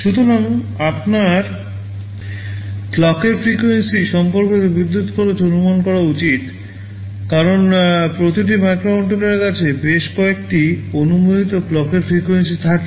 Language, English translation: Bengali, So, you should estimate the power consumption with respect to the clock frequency, we are using because every microcontroller has a range of permissible clock frequencies